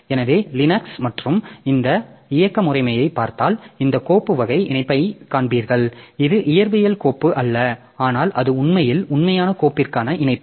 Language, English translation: Tamil, So, if you look into this operating systems like Linux and also you will find this file file type link so which is not physically the file but it is actually a link to the actual file